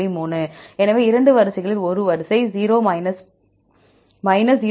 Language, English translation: Tamil, 3; so in the 2 sequences one sequence is 0